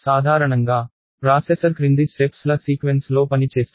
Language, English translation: Telugu, Normally, the processor will work in the following sequence of steps